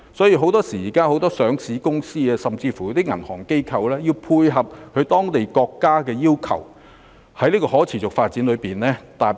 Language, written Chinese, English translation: Cantonese, 現時很多上市公司及銀行機構亦會配合當地政府的要求，就可持續發展設定目標。, Currently many listed companies and banking institutions are also required by local governments to set sustainability goals